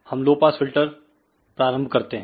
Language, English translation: Hindi, So, let us start low pass filter